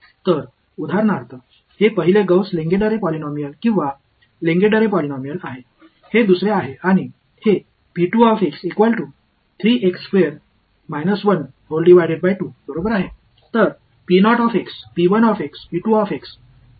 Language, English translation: Marathi, So, for example, this is the first Gauss Lengedre polynomial or Lengedre polynomial, this is the second and this is p 2 right